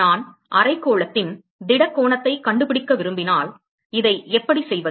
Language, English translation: Tamil, How do I find the solid angle of hemisphere